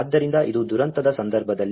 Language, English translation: Kannada, So, this is in the event of a disaster